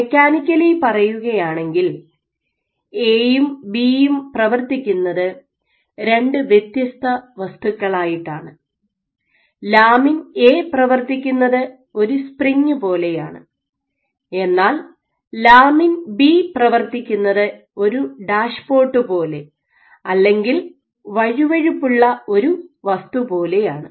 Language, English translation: Malayalam, Now mechanically A and B operated different entities lamin B operates like a spring and lamin A operates like a dashpot or of viscous object